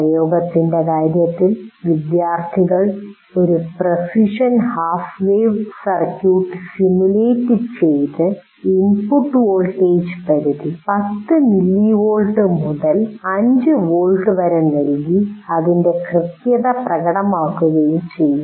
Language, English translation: Malayalam, Now here in terms of application, what we are asking students will simulate a precision half wave circuit and demonstrate its precision over the input voltage range of 10 mill volts to 5 volts volts